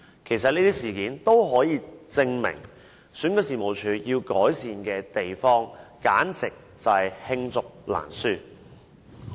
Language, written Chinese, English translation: Cantonese, 其實這些事件均可證明，選舉事務處要改善的地方，簡直是罄竹難書。, In fact these incidents can prove that there are countless areas which warrant improvement by REO